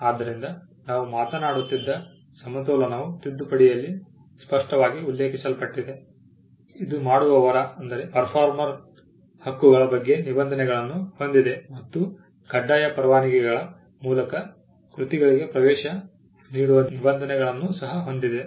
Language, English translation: Kannada, So, there is a balance that we were talking about that is expressly mentioned in the amendment, it also has provisions on performer’s rights and a provision to facilitate access to works by means of compulsory licences